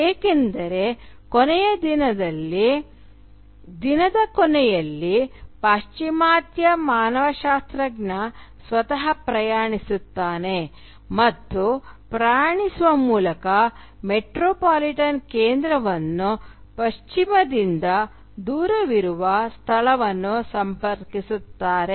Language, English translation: Kannada, Because at the end of the day the Western anthropologist himself or herself is travelling and by travelling is actually connecting the metropolitan centre to that distant location which is removed from the West